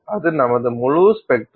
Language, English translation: Tamil, So, that is your full spectrum